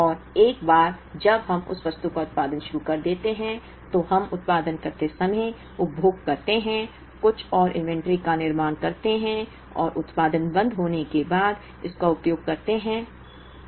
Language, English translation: Hindi, And once we start producing that item, we consume while production, buildup some more inventory and then use it once the production stops